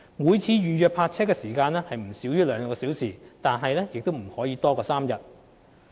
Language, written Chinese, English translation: Cantonese, 每次預約泊車時間須不少於兩小時，但不可超過3天。, The length of each parking booking is subject to a minimum of two hours and a maximum of three days